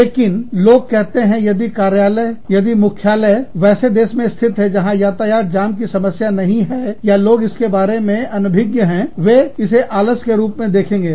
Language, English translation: Hindi, But, people say, if an office is based, if the head office is in a country, where this is unknown, or, people are not aware, of these traffic jams, they could see it as, tardiness